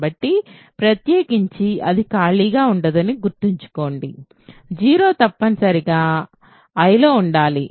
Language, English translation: Telugu, So, in particular it is not empty remember 0 must be in I